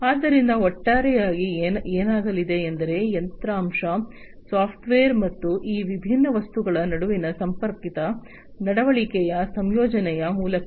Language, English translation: Kannada, So, in overall what is going to happen is through the incorporation of hardware, software, and the connected behavior between these different objects